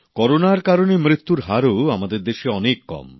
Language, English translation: Bengali, The mortality rate of corona too is a lot less in our country